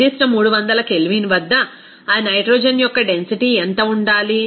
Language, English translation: Telugu, What should be the density of that nitrogen at the particular 300 K